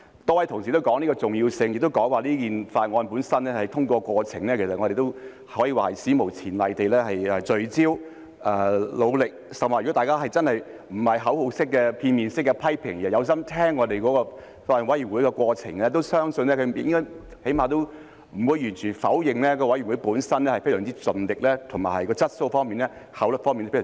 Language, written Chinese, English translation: Cantonese, 多位同事也說到法案的重要性，亦說在這項法案的審議過程中，議員可以說是史無前例地聚焦、努力，甚或如果大家真的不是口號式、片面式的批評，而是用心聆聽法案委員會審議的過程，相信起碼也應該不會完全否認法案委員會本身非常盡力，以及處理問題時的質素和效率都非常高。, Many colleagues also talked about the importance of the Bill . They said that Members had been unprecedentedly focused and hard - working during the deliberation on the Bill or to people who really are not just making slogan - like lopsided criticisms but have listened attentively to the deliberation of the Bills Committee I think at least they will not completely deny the fact that the Bills Committee had made the utmost efforts and addressed the problems with exceptionally high quality and efficiency . Deputy President I would say that this is a learning process